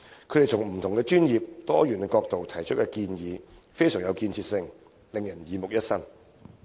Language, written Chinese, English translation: Cantonese, 他們從不同專業、多元角度提出的建議非常具建設性，令人耳目一新。, They have made very constructive proposals from various professional and diversified perspectives treating us to a breath of fresh air